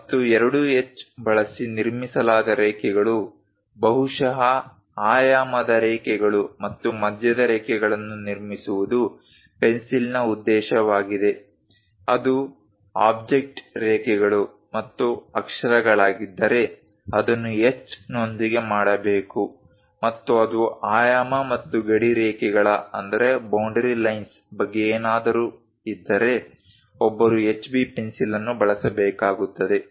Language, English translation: Kannada, And purpose of the pencil to construct lines, perhaps dimension lines and center lines constructed using 2H; if it is object lines and lettering, it has to be done with H and if it is something about dimensioning and boundary lines, one has to use HB pencil